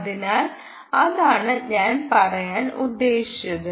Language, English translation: Malayalam, you see, thats what i was saying